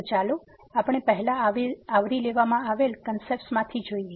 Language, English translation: Gujarati, So, let us go through the concepts covered